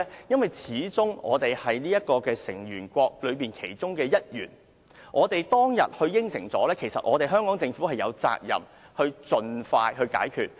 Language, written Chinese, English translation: Cantonese, 因為始終我們是巴塞爾委員會的成員，我們當天答應了，香港政府有責任盡快落實。, Because after all Hong Kong is a member of BCBS . We made an undertaking at that time . The Hong Kong Government has the obligation to implement it as soon as possible